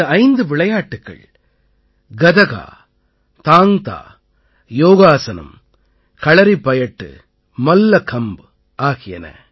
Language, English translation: Tamil, These five sports are Gatka, Thang Ta, Yogasan, Kalaripayattu and Mallakhamb